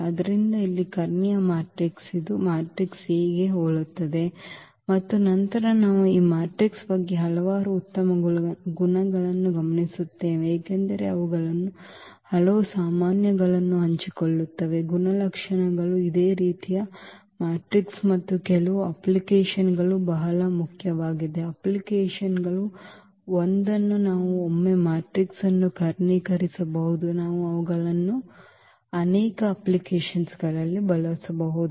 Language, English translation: Kannada, So, that is the diagonal matrix here which is similar to the matrix A and later on we will observe several good properties about this matrix because they share many common properties these similar matrices and some of the applications very important applications one we can once we can diagonalize the matrix we can we can use them in many applications